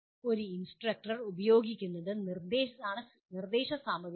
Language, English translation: Malayalam, Instructional materials are what an instructor uses